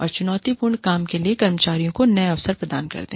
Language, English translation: Hindi, And, providing employees with new opportunities, for challenging work